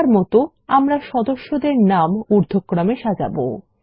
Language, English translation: Bengali, But for now, we will sort the member names in ascending order